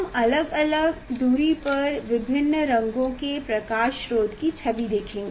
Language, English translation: Hindi, we will see the image of the light source of different colors at different distance